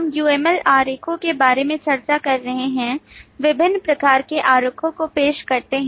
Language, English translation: Hindi, We have been discussing about UML diagrams, introducing variety of diagrams